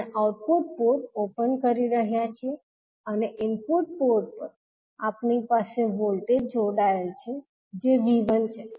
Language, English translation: Gujarati, We are opening the output port and the input port we have a voltage connected that is V 1